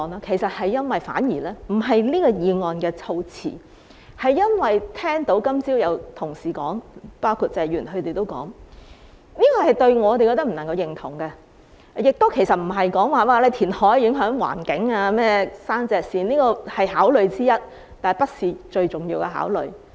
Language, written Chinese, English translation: Cantonese, 其實並非因為這項議案措辭，而是因為今早聽過同事——包括謝議員——的發言內容後，我們覺得不能夠認同的；亦非因為填海影響環境或山脊線——雖然這是考慮之一，卻不是最重要的考慮。, In fact this is not because of the wording of the motion but because we beg to differ with our Honourable colleagues―including Mr TSE―after listening to their speeches this morning . Neither is this because reclamation affects the environment or ridgelines―this is one of the considerations but not the most important one